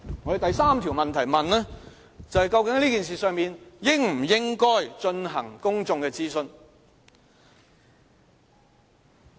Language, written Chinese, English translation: Cantonese, 我們第三條問題是問，究竟這事宜應否進行公眾諮詢？, Our third question is whether a public consultation should be conducted on this issue